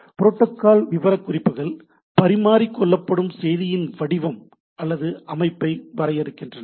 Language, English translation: Tamil, Protocols specifications define this sequence together with the format or layout of the message that are exchanged right